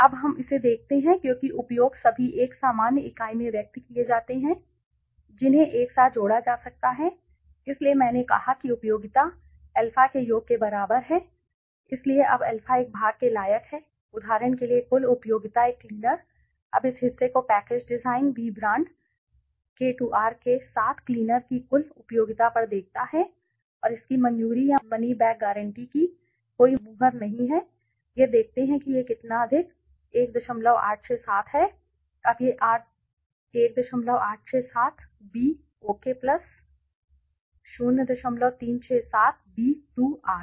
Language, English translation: Hindi, Now let us look at this since the utilizes are all expressed in a common unit they can be added together that the beauty so I said utility is equal to summation of alpha right so now the alpha is the part worth ok for example the total utility of a cleaner now look at this part the total utility of cleaner with package design B brand K2R price this much and no seal of a approval or money back guarantee is how much this much let s see 1